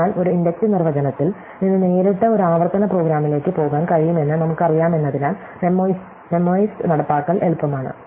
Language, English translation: Malayalam, So, the memoized implementation is easy to do because we know, that we can go from an inductive definition directly to a recursive program